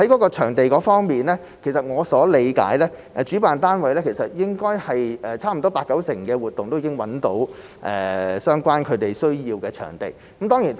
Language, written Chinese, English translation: Cantonese, 在場地方面，據我理解，主辦單位其實差不多八九成的活動均已經找到所需的場地。, With regard to venues as far as I know the organizer has found the necessary venues for 80 % to 90 % of the events